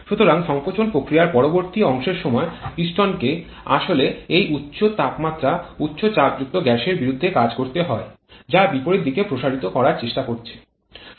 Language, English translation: Bengali, So, during the later part of the compression process the piston actually has to do work against this high temperature high pressure gases which is trying to expand in the opposite direction